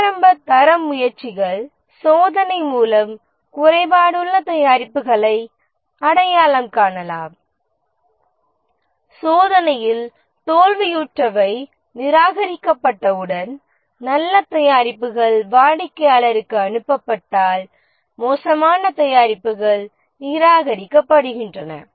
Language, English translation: Tamil, The initial quality efforts were testing that is identifying the defective products through testing, the ones that which fail the test are rejected, good products are passed to the customer, bad products are rejected